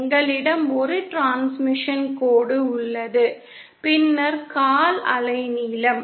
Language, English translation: Tamil, We have a piece of transmission line and then a quarter wavelength